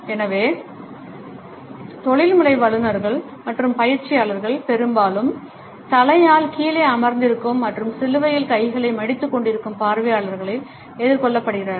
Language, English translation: Tamil, So, professional presenters and trainers are often confronted by audiences who are seated with their heads down and arms folded in a cross